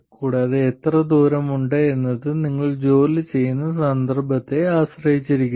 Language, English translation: Malayalam, And how far is too far very much depends on the context that you are working in